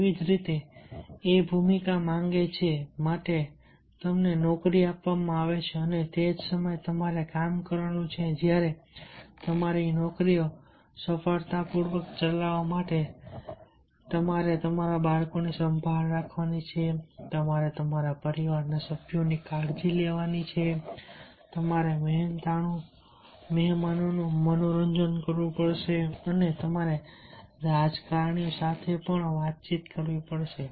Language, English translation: Gujarati, you are given a job and at the same time you have to do the job of a, you have to take care of your children, you have to take care of your family members, you have to entertain the guests and you have to interact with the politicians